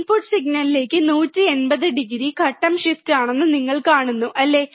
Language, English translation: Malayalam, You see that the output is 180 degree phase shift to the input signal, isn't it